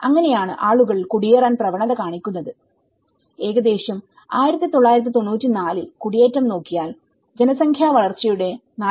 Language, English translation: Malayalam, So, that is how people tend to migrate and about 1994 when we see the migration, out of 4